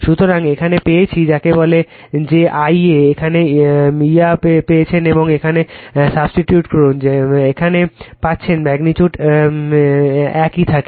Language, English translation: Bengali, So, here you have got your what you call , that, , your I a you got this i a here and here you substitute you are getting the magnitude is remain same right